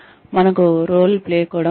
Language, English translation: Telugu, We also have a role playing